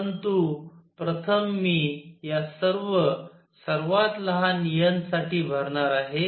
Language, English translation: Marathi, But first I am going to fill for all these lowest n